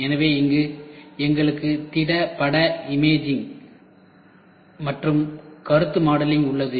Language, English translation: Tamil, So, here we had solid image imaging, then we have concept modelling